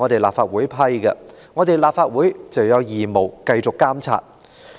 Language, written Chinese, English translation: Cantonese, 立法會既然批出撥款，便有義務繼續監察。, Since the Legislative Council has approved the funding it has an obligation to effect continued monitoring